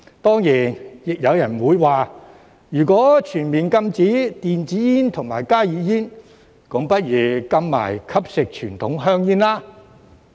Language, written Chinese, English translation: Cantonese, 當然，亦有人會說，如果全面禁止電子煙和加熱煙，便不如一併禁止吸食傳統香煙。, Of course some people may also argue that if a total ban is to be imposed on e - cigarettes and HTPs the consumption of conventional cigarettes should be banned altogether